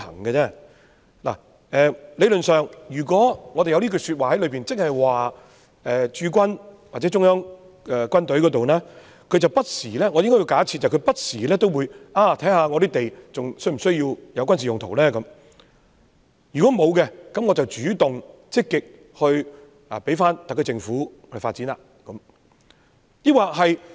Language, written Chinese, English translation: Cantonese, 理論上，如果我們包括這句說話在內，我們是假設駐軍或中央軍委不時檢視有關土地是否需要作軍事用途，如果沒有軍事用途，便主動積極交回特區政府發展。, Theoretically speaking when the above is provided in the law we can assume that the Hong Kong Garrison or the Central Military Commission CMC will review the need of using the land sites for military purpose from time to time . In case there is no military usage it will on its own initiative return the sites to the SAR Government for development